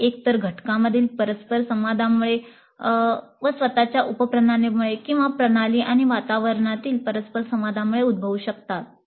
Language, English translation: Marathi, They can arise either from interactions among the components systems themselves, subsystems themselves, or the interactions between the system and the environment